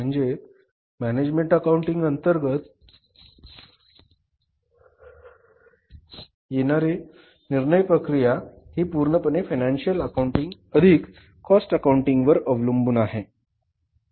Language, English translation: Marathi, So, entire decision making under management accounting is based upon financial accounting plus cost accounting